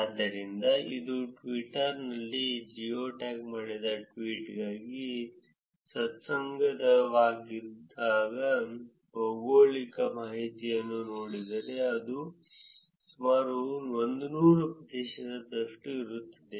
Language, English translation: Kannada, So, if you look at the unambiguous geographic information for geo tagged tweet from Twitter it is about 100 percent